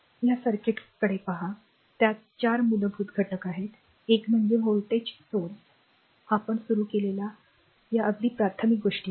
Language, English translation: Marathi, Just look at this circuit it consist of four basic element so, one is voltage source so, this is very you know very basic things we have started